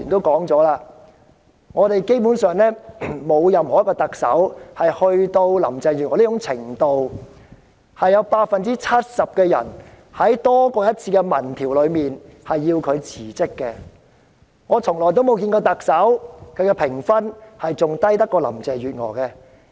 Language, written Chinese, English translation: Cantonese, 剛才多位議員提到，沒有一位特首好像林鄭月娥般，在多次民調裏有多於 70% 的受訪者希望她辭職，從來沒有一位特首的評分會比林鄭月娥更低。, Just now various Members mentioned that no other Chief Executive was like Carrie LAM in that in quite a number of opinion surveys more than 70 % of the respondents wanted her to resign . No other Chief Executive ever got a rating lower than that of Carrie LAM